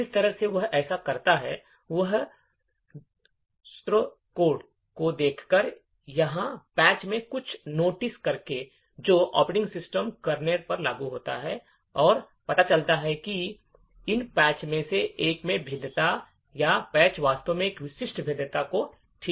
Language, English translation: Hindi, The way he do to this is by looking at the source code or by noticing something in the patches that get applied to the operating system kernel and find out that there is a vulnerability in one of these patches or the patches actually fix a specific vulnerability